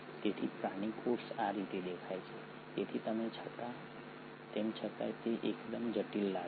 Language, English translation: Gujarati, So this is how the animal cell look like, so though it looks fairly complex